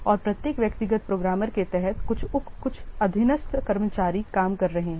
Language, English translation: Hindi, And under each individual programmer, there are some subordinate staffs are working